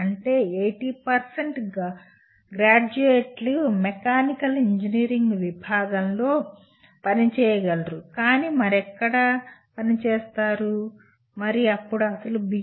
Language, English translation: Telugu, That means if everyone let us say 80% of the graduates do not work in mechanical engineering discipline but work elsewhere then the actual B